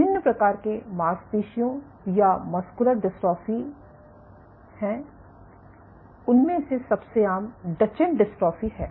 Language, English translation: Hindi, So, there are various types of muscular dystrophy, among them the most common being Duchenne muscular dystrophy